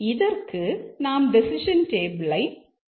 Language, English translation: Tamil, So, how do we develop the decision table for this